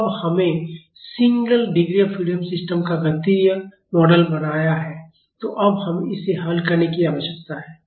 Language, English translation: Hindi, So, now, we have made the mathematical model of a single degree freedom system so, now, we need to solve it